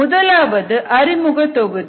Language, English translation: Tamil, the first was introductory module